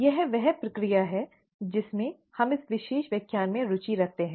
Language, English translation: Hindi, It is this process that we are interested in, in this particular lecture